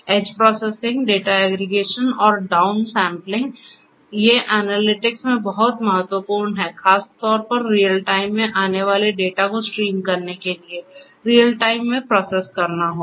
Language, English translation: Hindi, Edge processing, data aggregation, and down sampling these are very important in analytics particularly for streams of data coming in real time will have to be processed in real time and so on